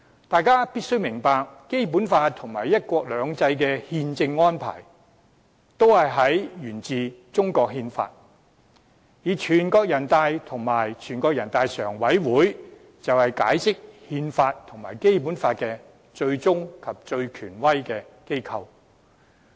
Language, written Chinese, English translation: Cantonese, 大家必須明白，《基本法》和"一國兩制"的憲政安排均沿於中國憲法，全國人民代表大會和人大常委會則是解釋憲法和《基本法》的最終及最權威機構。, We must understand that the constitutional arrangements of the Basic Law and one country two systems are both established by the Constitution of China . And the National Peoples Congress and NPCSC are the ultimate and highest authorities in the interpretation of the Constitution and the Basic Law